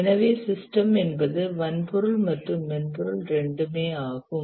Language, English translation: Tamil, So this is the system which is both hardware and software